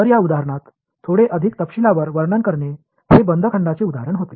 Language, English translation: Marathi, So, elaborating a little bit more on this example, this was an example of a closed volume